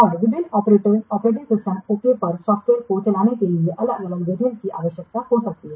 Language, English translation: Hindi, And different variants may be needed to run the software on different operating system